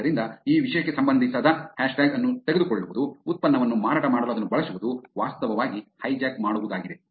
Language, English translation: Kannada, Therefore, taking the hashtag which is not relevant to this topic, using it for selling a product is actually hijacking